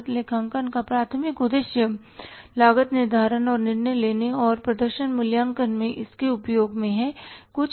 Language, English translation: Hindi, The primary purpose of the cost accounting is cost ascertainment and its uses into season making and performance evaluation